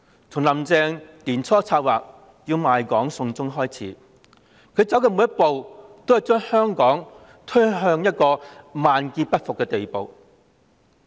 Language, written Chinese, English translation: Cantonese, 從"林鄭"年初策劃賣港"送中"開始，她走的每一步也將香港推向萬劫不復的地步。, Since her planning to sell out Hong Kong and send it to China in the beginning of this year every step taken by Carrie LAM has pushed Hong Kong to a situation beyond redemption